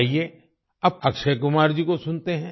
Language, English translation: Hindi, Come, now let's listen to Akshay Kumar ji